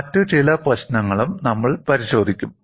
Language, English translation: Malayalam, We will also look at certain other issues